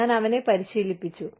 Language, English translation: Malayalam, I trained him